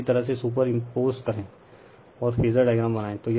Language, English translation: Hindi, So, just you superimpose and just draw the phasor diagram